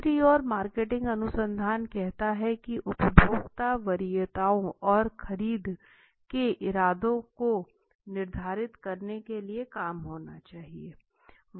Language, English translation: Hindi, On the other side marketing research says, to determine consumer preferences and purchase intentions